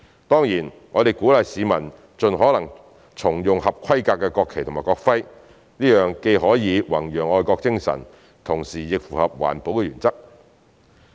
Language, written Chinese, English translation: Cantonese, 當然，我們鼓勵市民盡可能重用合規格的國旗及國徽，這樣既可弘揚愛國精神，同時亦符合環保原則。, Of course we encourage members of the public to reuse standard national flags and national emblems as such practice can promote patriotism and is consistent with the principle of environmental protection